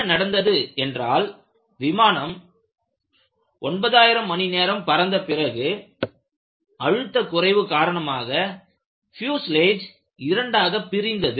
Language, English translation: Tamil, So, what happened was after 9000 hours of equivalent flying, the pressure dropped, and a split in the fuselage was found